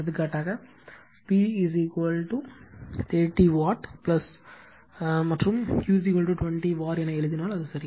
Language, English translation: Tamil, For example, suppose if you write P is equal to say 30 watt and Q is equal to your 20 var right, it is ok